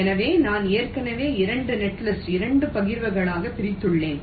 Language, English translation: Tamil, so i have already divided two netlist into two partitions